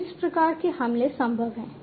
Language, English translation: Hindi, So, these kinds of attacks are possible